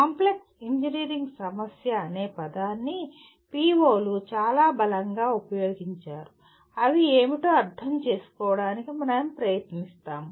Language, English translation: Telugu, The word complex engineering problem has been very strongly used by the POs we will make an attempt to understand what they are